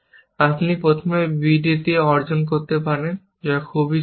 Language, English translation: Bengali, You can achieve on b d first, which is very simple